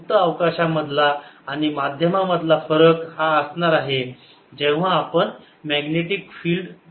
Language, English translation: Marathi, the difference between free space and a medium would be when we calculate the magnetic field